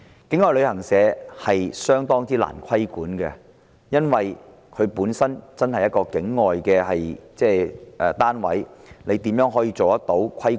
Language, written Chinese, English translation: Cantonese, 境外旅行社相當難以規管，因為它們本身是境外的單位，如何可以規管？, It is rather difficult to regulate travel agents outside Hong Kong because they are outside the jurisdiction of Hong Kong